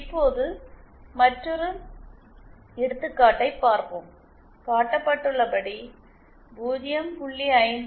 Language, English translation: Tamil, Now let us see another example, we have a load 0